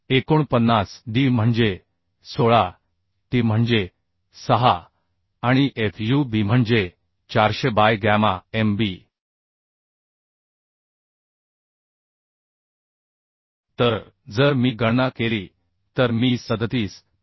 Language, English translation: Marathi, 49 d is 16 t is 6 and fub is 400 by gamma mb So if I calculate I can find out as 37